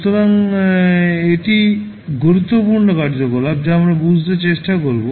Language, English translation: Bengali, So, this would be the important activity which we will try to understand